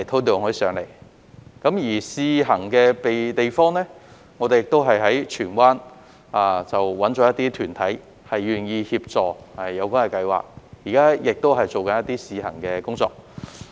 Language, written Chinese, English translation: Cantonese, 在試行地點方面，我們也在荃灣找了一些團體願意協助有關計劃，現時亦正在進行一些試行工作。, As for the trial sites we have also identified some organizations in Tsuen Wan which are willing to help with the scheme and are now conducting some trial runs